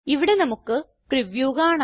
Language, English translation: Malayalam, Here we can see the Preview